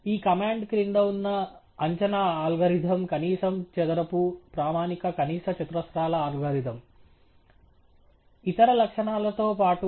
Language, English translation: Telugu, The estimation algorithm underneath this routine is a least square standard least squares algorithm with a lot of other features as well